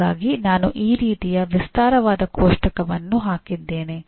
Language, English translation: Kannada, So I put a very elaborate table like this